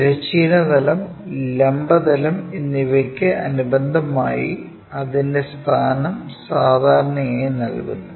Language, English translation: Malayalam, And its position with respect to horizontal plane and vertical plane are given usually